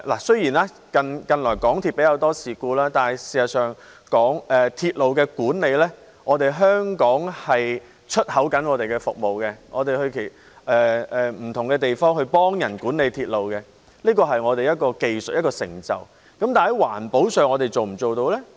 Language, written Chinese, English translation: Cantonese, 雖然近來港鐵出現較多事故，但事實上，就鐵路管理來說，香港正在輸出服務，我們到不同地方協助他人管理鐵路，這是我們的技術成就，但在環保上，我們是否做得到呢？, The problem is if we are like Although more incidents have happened to MTR Corporation Limited recently as far as railway management is concerned Hong Kong is actually exporting services to different places helping others to manage railways . This is our technological achievement but can we accomplish the same in environmental protection?